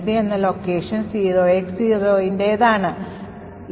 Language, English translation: Malayalam, So, you could see that the location 473 corresponds to this 0X0